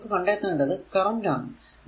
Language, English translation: Malayalam, So, you have to find out that what is the current